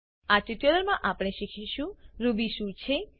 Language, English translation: Gujarati, In this tutorial we will learn What is Ruby